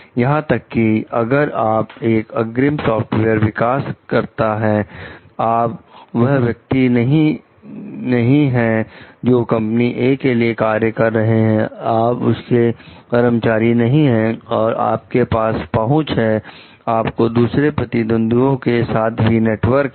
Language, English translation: Hindi, Like, even if you are a lead software developer, you are not the person who is working, you are not employee for company A and you have the access like you have your network with other competitors also